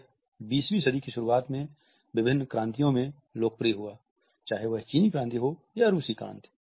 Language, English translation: Hindi, It was popularized in different revolutions in the beginning of the 20th century, be at the Chinese revolution or the Russian revolution